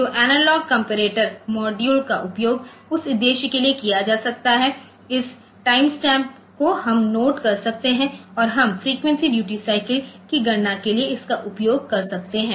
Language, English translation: Hindi, So, the analog comparator module can be used for during that purpose, this time stamp we can note down the, we can, we can use it for calculating frequency duty cycle